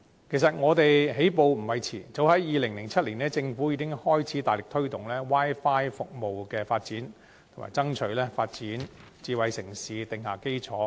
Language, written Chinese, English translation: Cantonese, 其實我們起步並不算遲，政府早在2007年已開始大力推動 Wi-Fi 服務的發展，以爭取為發展智慧城市定下基礎。, As a matter of fact we were not at all late in taking the initial step . In a bid to lay down the foundation for smart city development the Government began vigorously promoting the development of Wi - Fi services back in 2007